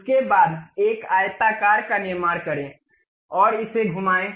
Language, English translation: Hindi, After that, construct a rectangular one and rotate it